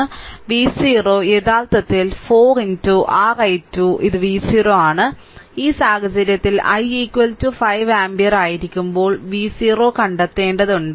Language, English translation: Malayalam, So, v 0 is equal to actually 4 into your i 2 this is v 0 right and in this case you have to find out v 0, when i is equal to 5 ampere